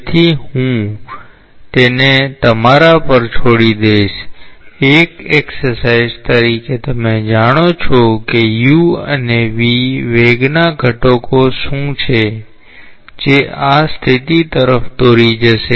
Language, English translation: Gujarati, So, I will leave it you to you on it as an exercise you find out what are the velocity components u and v, that will lead to this condition